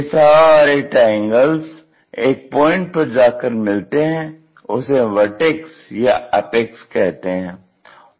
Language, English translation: Hindi, We have these triangles all these are meeting at 1 point, this one is apex or vertex